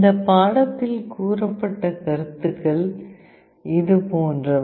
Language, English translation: Tamil, The concepts that will be covered in this lecture are like this